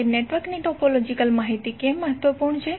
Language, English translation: Gujarati, Now, why the topological information of the network is important